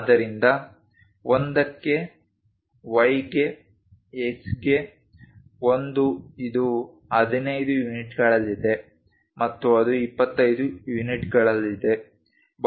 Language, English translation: Kannada, So, for X for Y for 1, 1 it is at 15 units and it is at 25 units